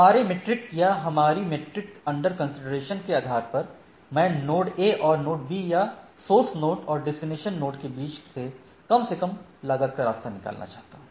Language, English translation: Hindi, So, based on a my our, my metric or our metric under consideration I want to find out the least cost path between node a and node b or node source node and the destination node